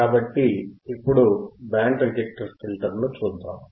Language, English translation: Telugu, What are the kinds of band reject filters